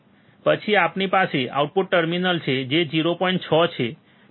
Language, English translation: Gujarati, Then we have the output terminal which is 0